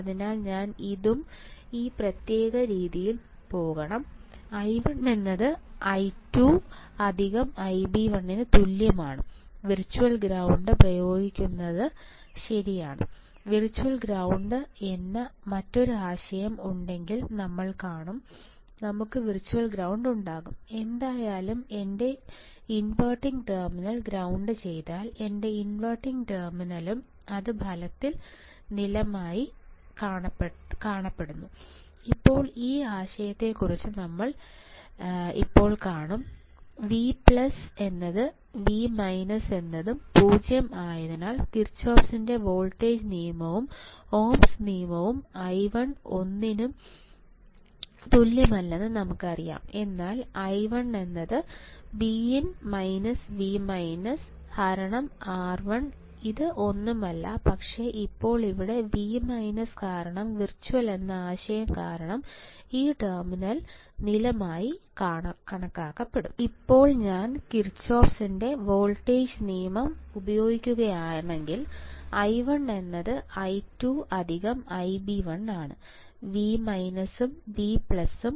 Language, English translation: Malayalam, So, I have to go in this particular way this one this one and this one; i 1 equals to i 2 right i 2 plus I b 1, right applying virtual ground if I there is another concept called virtual ground we will see; we will have virtual ground means whatever the whatever my non inverting terminal if it is grounded my inverting terminal is also considered as the ground it is virtually ground now we will see about this concept right now V minus equals to V plus equals to 0 therefore, from k V l Kirchhoff’s voltage law and ohms law we know that i 1 equals to nothing, but i 1 equals to V in minus V minus right divided by R 1 this is nothing, but V in by R 1 V now because here V minus you see the because of the co concept of virtual ground this terminal will be considered as ground, right